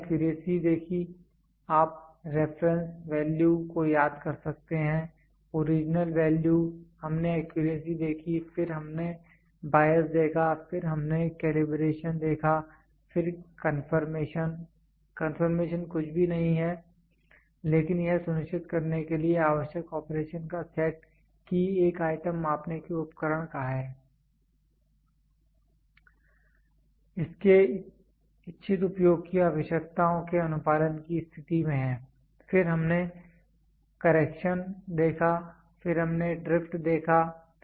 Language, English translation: Hindi, We saw accuracy, you can remember reference value, original value we saw accuracy then we saw bias, then we saw calibration, then confirmation; confirmation is nothing, but the set of operation required to ensure that an item is of the measuring equipment is in a state of compliance with requirements of its intended use, then we saw correction, then we saw drifts